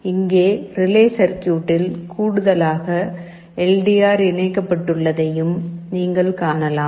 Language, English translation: Tamil, Here in addition to the relay circuit, now you can see we also have a LDR connected out here